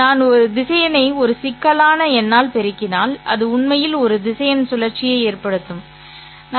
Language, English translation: Tamil, If I multiply a vector by a complex number, it will actually result in rotation of a vector